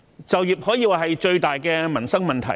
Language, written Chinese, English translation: Cantonese, 就業可說是最大的民生問題。, Employment is arguably the biggest livelihood issue